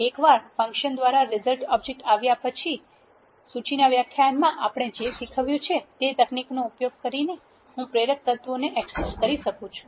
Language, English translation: Gujarati, Once the object result is given out by the function I can access inducer elements by using the techniques what we have teached in the list lecture